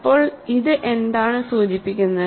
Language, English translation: Malayalam, So, what does it imply